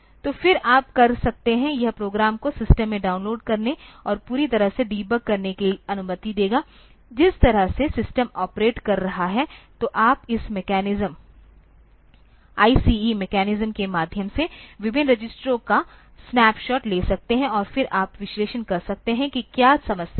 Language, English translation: Hindi, So, then you can, this will allow programs to download and fully debug in system, that way the system is operating, so you can take a snapshot of various registers through this mechanism, ICE mechanism and you can then try to analyze that what is the problem